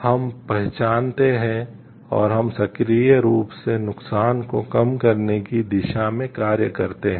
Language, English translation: Hindi, We recognize and we act towards minimizing the harm in a proactive way